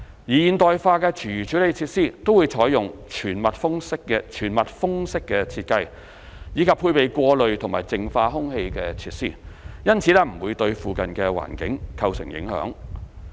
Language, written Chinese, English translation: Cantonese, 現代化的廚餘處理設施都採用全密封式設計，以及配備過濾及淨化空氣設施，因此不會對附近環境構成影響。, The modern food waste treatment will adopt fully enclosed design and be equipped with air filtering and purifying facilities; and therefore will not impact on the surrounding environment